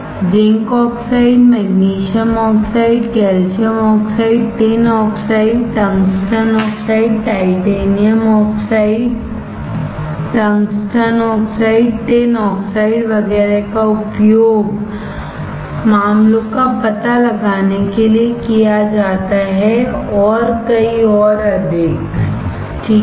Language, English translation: Hindi, Zinc oxide, magnesium oxide, calcium oxide, tin oxide, tungsten oxide, titanium dioxide, tungsten oxide, tin oxide, etcetera are used to detect cases and many more and many more, alright